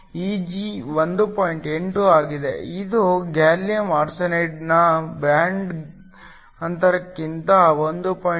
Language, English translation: Kannada, 8 which is greater than the band gap of gallium arsenide which is 1